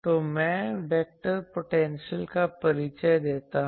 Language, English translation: Hindi, So, I introduce the vector potential